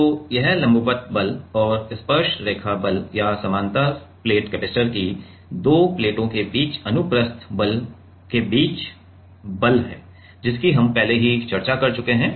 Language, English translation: Hindi, So, this forces between the like the normal force and tangential force or the transverse force between 2 plates of a parallel plate capacitor we have already discussed